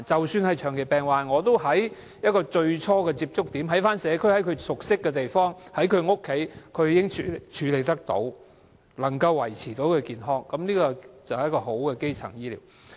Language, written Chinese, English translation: Cantonese, 即使是長期病患者也可以在最初的接觸點、在社區、在其熟悉的地方、在其家中處理，能夠維持健康，這便是一個好的基層醫療。, Even for chronic patients they can still receive treatments at the first contact point and cope with the diseases and stay healthy in the community where they are familiar with and at their homes . This can be regarded as good primary health care